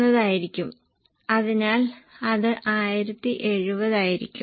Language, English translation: Malayalam, Yeah, 43 is this and it should be 42 upon 43